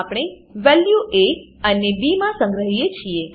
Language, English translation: Gujarati, Then we stored the value in a and b